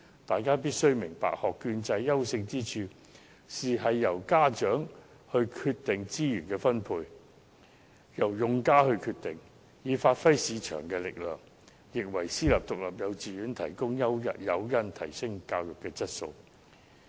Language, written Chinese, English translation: Cantonese, 大家必須明白，學券制的優勝之處，就是由用家決定資源分配，以發揮市場力量，亦可為私營獨立幼稚園提供誘因，提升教育質素。, We must understand that the strength of the voucher system is that users can decide on the allocation of resources along with the market power which can also provide incentives for the privately - run kindergartens to enhance the quality of education